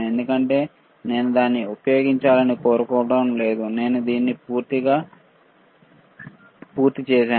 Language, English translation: Telugu, Because I do not want to use it right so, I am done with this